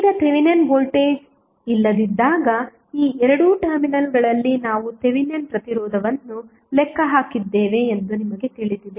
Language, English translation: Kannada, Now, you know that we have calculated the Thevenin resistance across these two terminals while there was no Thevenin voltage